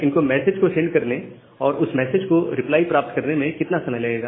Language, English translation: Hindi, So, how much time it will take to send the message and get back the reply